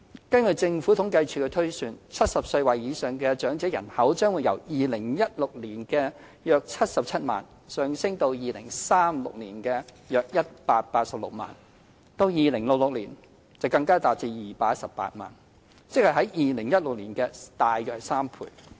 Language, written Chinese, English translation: Cantonese, 根據政府統計處的推算 ，70 歲或以上長者人口將由2016年的約77萬，上升至2036年的約186萬；至2066年，人數更達218萬，即為2016年的3倍左右。, According to projection by the Census and Statistics Department the number of elderly persons aged 70 or above is set to increase from 770 000 in 2016 to about 1.86 million in 2036 and to 2.18 million in 2066 which is about three times the figure of 2016